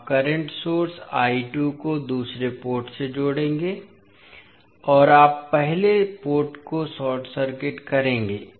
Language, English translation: Hindi, You will connect current source I 2 to the second port and you will short circuit the first port